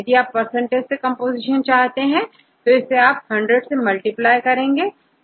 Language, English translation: Hindi, If you want to get the composition in percentage, then you have to multiply this with 100 right, very simple